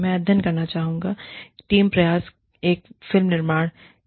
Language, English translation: Hindi, I would like to study, the team effort involved, in the production of a film